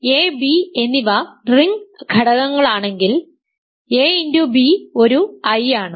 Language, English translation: Malayalam, If a and b are ring elements such that ab the product is an I ok